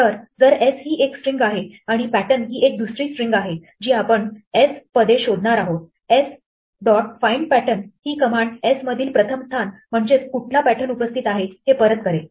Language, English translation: Marathi, So, if s a string and pattern is another string that I am looking for in s, s dot find pattern will return the first position in s which pattern occurs